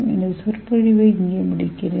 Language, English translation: Tamil, I end my lecture here